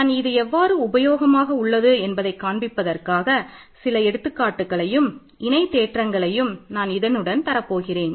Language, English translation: Tamil, And I will do now one or two examples and corollaries to illustrate why this is such a very useful statement